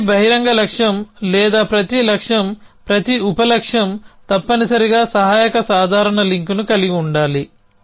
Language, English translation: Telugu, It means every open goal or every goal every sub goal must have a supporting casual link